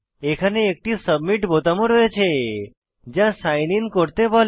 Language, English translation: Bengali, It also has a Submit button that says Sign In